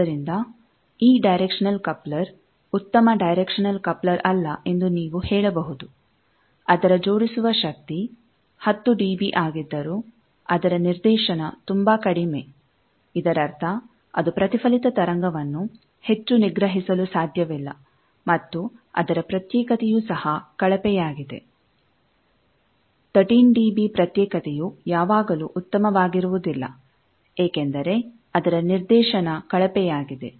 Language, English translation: Kannada, So, you can say that this directional coupler is not a very good directional coupler that though it is coupling power is 10 db, but its directivity is very low; that means, its it cannot suppress the reflected wave very much and its isolation is also poor 13 db isolation is not always very good just because its directivity is poor